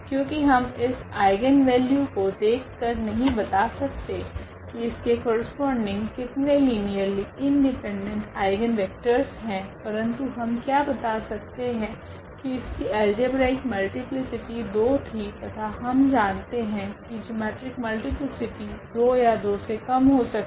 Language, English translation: Hindi, Because, looking at this eigenvalue we cannot just tell how many eigenvectors will be linearly independent corresponding to a given eigenvalue, but what we can tell now because the multiplicity of this 2 was 2 or the algebraic multiplicity was 2 and we know that the geometric multiplicity will be less than or equal to 2